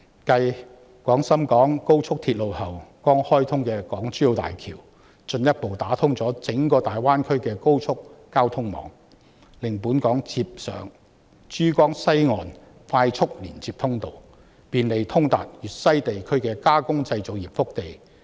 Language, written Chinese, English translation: Cantonese, 繼廣深港高速鐵路後，剛開通的港珠澳大橋進一步啟動整個大灣區的高速交通網，令本港接上珠江西岸的快速連接通道，便利通達粵西地區的加工製造業腹地。, Subsequent to the Guangdong - Shenzhen - Hong Kong Express Rail Link the Hong Kong - Zhuhai - Macao Bridge HZMB which has just been commissioned has further activated the high speed transport network of the entire Greater Bay Area connecting Hong Kong to the express link passage in Pearl River East and providing easy access to the hinterland of the processing industry in West Guangdong area